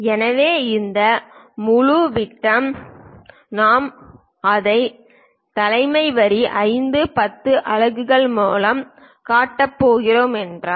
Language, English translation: Tamil, So, this entire diameter if we are going to show it by leader line 5 10 units